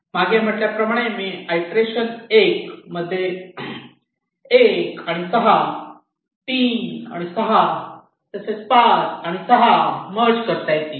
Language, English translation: Marathi, as i have said you can merge one and six, you can merge three and six, you can merge five and six